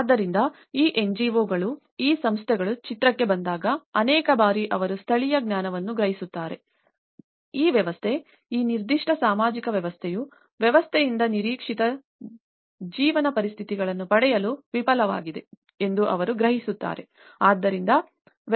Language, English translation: Kannada, So, the moment when these NGOs when these agencies come into the picture, many at times what they do is they perceive the local knowledge, they perceive that this system, this particular social system has failed to receive the expected conditions of life from the system